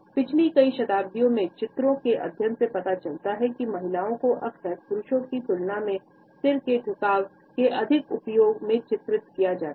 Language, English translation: Hindi, A studies of paintings, over the last several centuries show that women are often depicted more using the head tilt in comparing to men